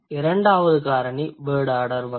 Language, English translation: Tamil, The second factor is the word order type